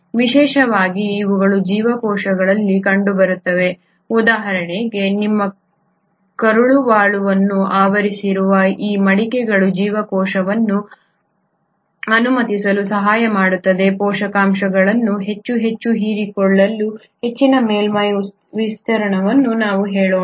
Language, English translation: Kannada, Especially these are seen in cells for example which are lining your intestinal tract where these foldings will help allow a cell, a greater surface area for more and more absorption of let us say nutrients